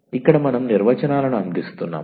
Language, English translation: Telugu, Here we are just providing the definitions